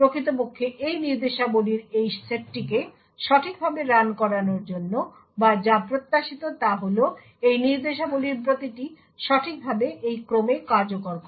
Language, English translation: Bengali, In order to actually run this these set of instructions in a correct manner or what is expected is that each of these instructions execute in precisely this order